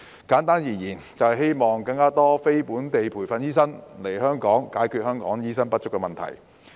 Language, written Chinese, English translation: Cantonese, 簡單而言，修例目的是希望讓更多非本地培訓醫生來港，解決香港醫生不足的問題。, In short the Bill seeks to enable more NLTDs to practise in Hong Kong and address the shortage of doctors in Hong Kong